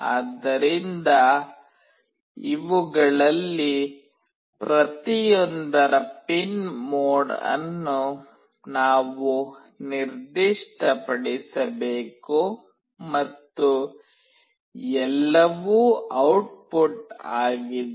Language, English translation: Kannada, So, we have to specify the pin mode of each one of these and all are output